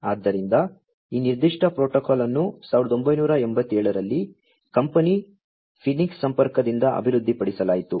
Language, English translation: Kannada, So, this particular protocol was developed in 1987 by the company phoenix contact